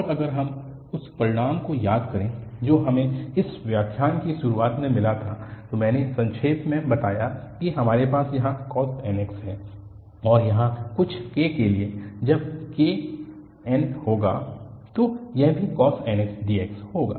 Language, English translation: Hindi, And, if we recall the result which we got in the very beginning of this lecture, I summarized that we have here cos nx and for some k here, when k will be n, so this will be also the cos nx dx